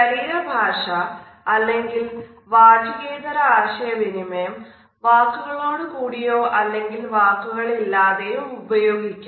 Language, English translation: Malayalam, Body language or nonverbal aspects of communication can be used either in addition to words or even independent of words